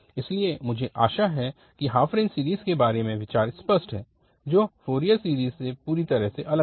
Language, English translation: Hindi, But now, the idea of this half range series is entirely different from the Fourier series which we have discussed so far